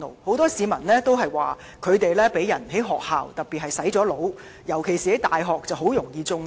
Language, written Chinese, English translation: Cantonese, 很多市民表示，學生在學校被"洗腦"，尤其在大學中很容易"中毒"。, Many people say that students have been brainwashed in school and they are particularly vulnerable to these poisonous ideas in university